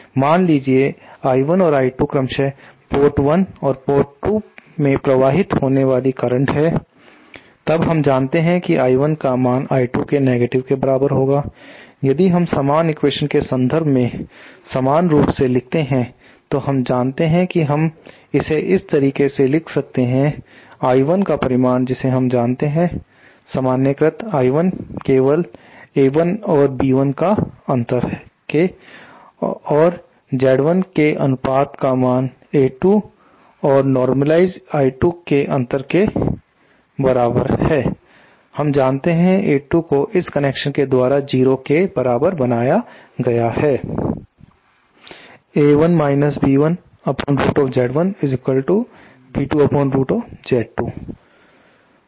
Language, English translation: Hindi, Suppose I 1 and I 2 are the currents flowing in to port 1 and port 2 respectively then we know that I 1 is equal to the negative of I 2 if we write the same equation in terms of normalized [inped] currents then we know we can write it like this, I 1 magnitude we know is equal to, the normalized I 1 is simply A 1 minus B 1 that upon Z 1 is equal to A 2 minus I 2 normalized is equal given by this